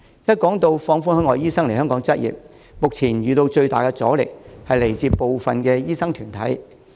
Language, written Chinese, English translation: Cantonese, 一提到放寬海外醫生來港執業，目前遇到最大的阻力，是來自部分的醫生團體。, When it comes to the relaxation of requirements for overseas doctors to practise in Hong Kong the biggest resistance at the moment comes from some doctors organizations